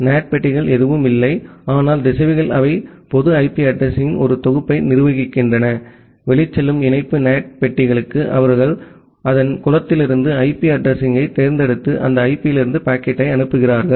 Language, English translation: Tamil, NAT boxes are nothing, but routers they manages a pool of public IP address, For outgoing connection the NAT boxes, they select one of the IP address from its pool and forward the packet from that IP